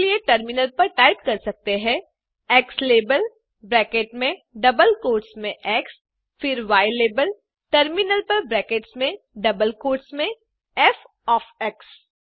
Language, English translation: Hindi, So for that you can type in terminal xlabel within brackets in double quotes x , then ylabel in terminal within brackets in double quotes f of x